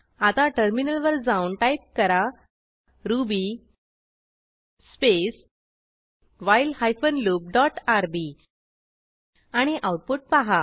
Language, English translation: Marathi, Now open the terminal and type ruby space break hyphen loop dot rb and see the output